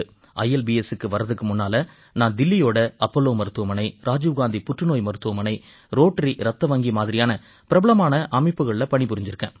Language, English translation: Tamil, Even before ILBS, I have worked in prestigious institutions like Apollo Hospital, Rajiv Gandhi Cancer Hospital, Rotary Blood Bank, Delhi